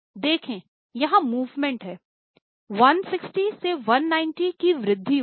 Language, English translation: Hindi, There go movement to why, from 160 it has increased to 190